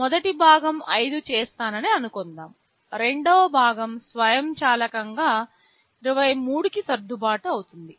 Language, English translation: Telugu, Suppose the first part I make 5 the second part will automatically get adjusted to 23